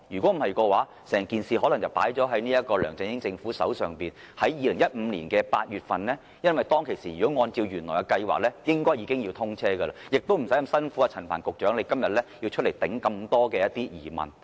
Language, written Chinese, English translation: Cantonese, 否則，整件事可能放在梁振英政府的手上，在2015年8月便要推行，因為按照原來計劃，當時已經要通車，亦不需要陳帆局長今天回答眾多疑問。, Had it not been for the weather and the hard rocks the whole issue might have to be handled by the LEUNG Chun - ying administration . Co - location clearance might have been implemented as early as August 2015 because the XRL was originally scheduled to commission by that time . Then it would not have been necessary for Secretary Frank CHAN to come here to answer so many questions today